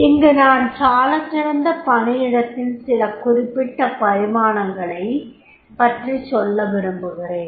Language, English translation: Tamil, Now here I would like to mention certain dimensions of the great workplace